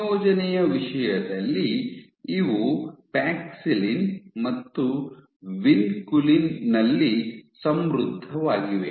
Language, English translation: Kannada, So, in terms of composition these are enriched in Paxillin and Vinculin